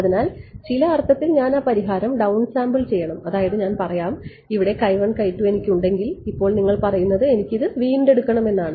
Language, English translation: Malayalam, So, in some sense I have to down sample that solution I mean I have let us say x 1 x 2 here, now you are saying I want to retrieve this at a